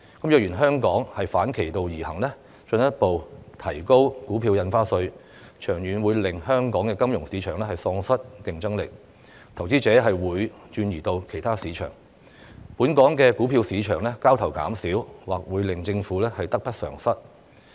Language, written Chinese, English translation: Cantonese, 若然香港反其道而行，進一步提高股票印花稅，長遠會令香港金融市場喪失競爭力，投資者便會轉移至其他市場。本港股票市場交投減少，或會令政府得不償失。, If Hong Kong adopts an opposite approach and further raises the rate of Stamp Duty in the long run Hong Kongs financial market will lose its competitiveness and investors will switch to other markets resulting in reduced turnover in the local stock market which probably means more loss than gain for the Government